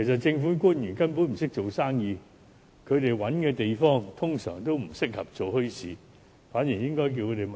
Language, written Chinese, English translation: Cantonese, 政府官員根本不懂做生意，他們找的地方，一般都不適合做墟市。, Government officials do not know how to do business at all . The sites identified by them are usually not suitable for holding bazaars